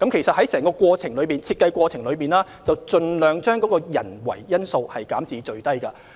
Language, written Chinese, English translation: Cantonese, 在整個抽選過程中，會盡量將人為因素減至最低。, Throughout the selection process it will try to minimize any human factor as far as possible